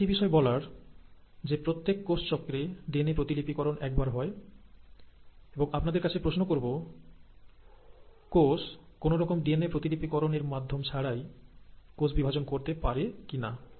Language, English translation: Bengali, Now one thing I want you to remember is that in every cell cycle, the DNA replication or the DNA duplication happens once, and, I will pose this question to you, that can cells afford to undergo a cell division, without undergoing DNA replication